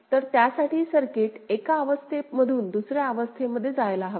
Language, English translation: Marathi, So, for that the circuit should move from one state to another